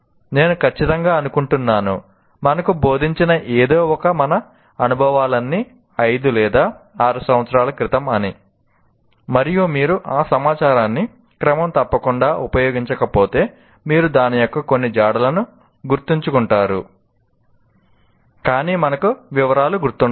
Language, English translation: Telugu, I'm sure all of us experience something that is taught to us, let us say, five years ago, six years ago, if you are not using that information regularly, you can't, maybe you will remember some trace of it, but you will not remember the details